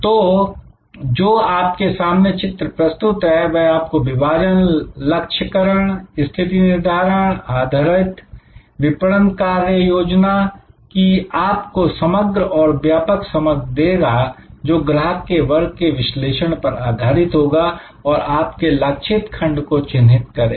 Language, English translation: Hindi, So, this diagram, which is in front of you here, that gives you a very composite and comprehensive understanding that to create your segmentation targeting positioning based marketing action plan will be based on analysing customer segment, creating the identification for the your target segment